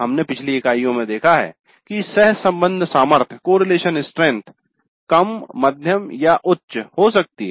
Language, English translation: Hindi, This we have seen in the earlier units that the correlation strength can be low, moderate or high